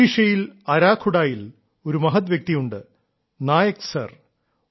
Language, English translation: Malayalam, There is a gentleman in Arakhuda in Odisha Nayak Sir